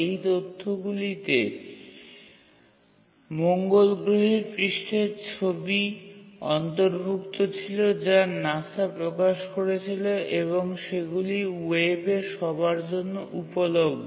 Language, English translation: Bengali, And these data included pictures of the Mars surface and which were released by NASA and were publicly available on the web